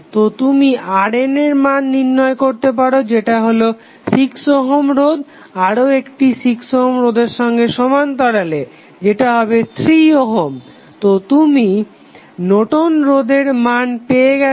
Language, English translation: Bengali, So, you can simply find out the value of R N is nothing but 6 ohm in parallel with 6 ohm that is nothing but 3 ohm so you got now Norton's resistance